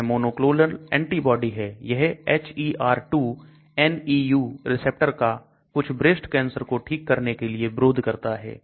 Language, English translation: Hindi, It is a monoclonal antibody that interferes with HER2/ neu receptor to treat certain breast cancers